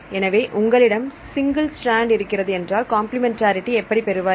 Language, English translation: Tamil, So, if you have a single strand how to get the complementary strand